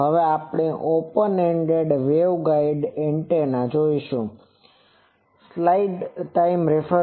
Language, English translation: Gujarati, Now, we will see an Open Ended Waveguide Antenna